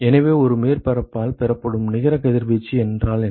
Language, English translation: Tamil, So, what is the what is the net irradiation received by a surface